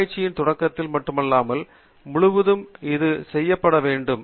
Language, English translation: Tamil, It should be done not only at the beginning of the research but also throughout